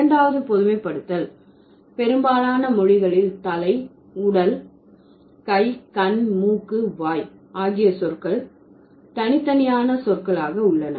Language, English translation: Tamil, The second generalization was that most languages have separate words for head, trunk, arm, eye, nose and mouth